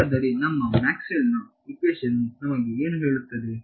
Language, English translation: Kannada, So, what is our Maxwell’s equation telling us